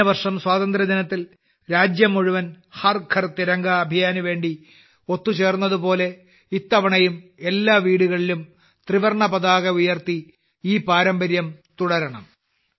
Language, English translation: Malayalam, Last year on the occasion of Independence Day, the whole country came together for 'Har GharTiranga Abhiyan',… similarly this time too we have to hoist the Tricolor at every house, and continue this tradition